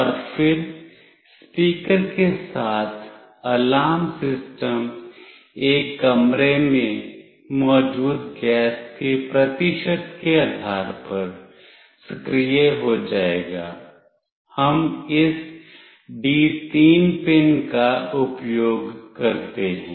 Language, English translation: Hindi, And then with the speaker the alarm system when it will get activated depending on the percentage of gas present in the in a room; we use this D3 pin